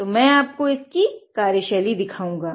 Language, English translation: Hindi, So, I will be showing you the working of it